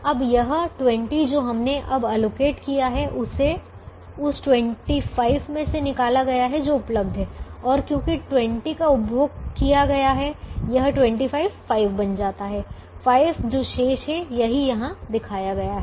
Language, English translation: Hindi, now this twenty, which we have now allocated, has been taken out of the twenty five that is available and therefore, since twenty has been consumed, this twenty one become twenty, five becomes five, which is what is remaining